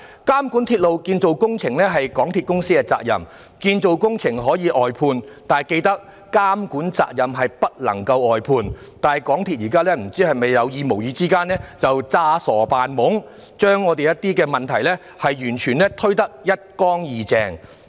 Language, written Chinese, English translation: Cantonese, 監管鐵路建造工程是港鐵公司的責任，建造工程可以外判，但緊記監管責任不能外判，但港鐵公司現時有意無意裝傻扮懵，將一些問題完全推得一乾二淨。, Monitoring railway projects is the responsibility of MTRCL . It should bear in mind that it can outsource the construction projects but it cannot outsource the monitoring responsibility . But MTRCL has been intentionally or unintentionally pretending to be ignorant and shirking its responsibility